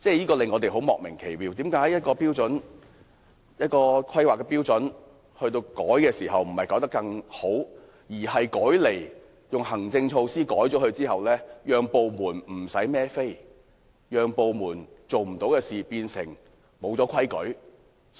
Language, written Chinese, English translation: Cantonese, 我們感到莫名其妙的是，為何修改一項規劃標準，不是改得更好，而是用行政措施更改後，部門便不用負責，因而不會出錯？, We wondered why improvements were not made to a planning standard after the amendment . Instead after making changes by administrative measures the department concerned will not be held responsible for any wrongs